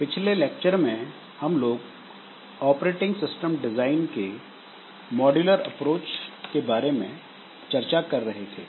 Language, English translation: Hindi, In our last lecture we are discussing on modular approach for operating system design